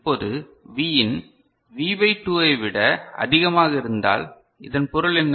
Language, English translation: Tamil, Now, if Vin greater than V by 2, what does it mean